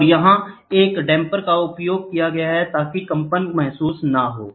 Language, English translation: Hindi, And here we use damper so that no vibration is felt